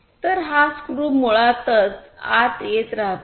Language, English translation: Marathi, So, this screw basically gets in and so on